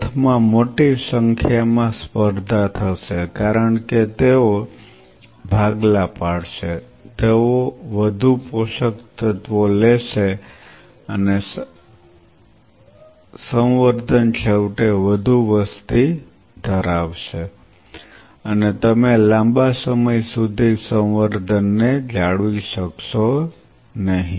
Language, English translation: Gujarati, In a big way out number in the sense will be competing because they will be dividing they will be consuming lot more nutrients and the culture will eventually become overpopulated and you would not be able to keep the culture for a prolonged period of time